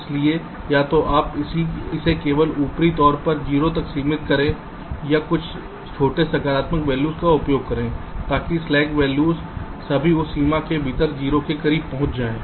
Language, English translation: Hindi, so either you just upper bound it to zero or use a small positive value so that the slack values all reach close to zero within that range